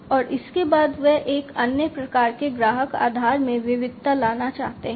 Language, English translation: Hindi, And thereafter, they want to diversify to another type of customer, you know, customer base